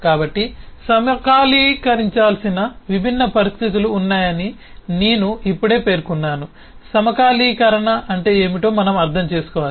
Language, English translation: Telugu, so given that there are different situation that need to be synchronized i just mentioned that we need to understand what is synchronization all about and what could be issues